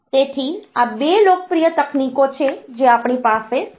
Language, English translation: Gujarati, So, these are the 2 popular technologies that we have